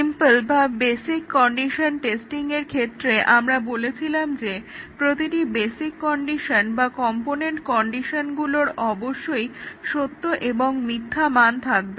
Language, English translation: Bengali, In the simple or basic condition testing, we had said that each of the basic condition or the component conditions must take true and false values